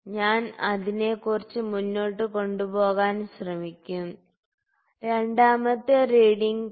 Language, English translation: Malayalam, So, I will try to take it a little forward then, the second reading and for 2